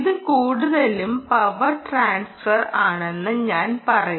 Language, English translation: Malayalam, i would say it's more power transfer, transfer of power